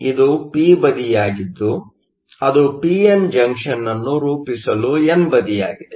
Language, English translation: Kannada, So, this is my p side that is my n side to form my p n junction